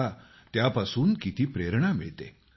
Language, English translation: Marathi, You will see how this inspires everyone